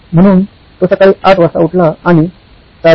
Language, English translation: Marathi, So he woke up at say 8 am for 8